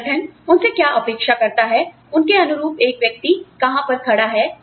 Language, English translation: Hindi, And, where does one stand, in terms of, what the organization expects, of her or him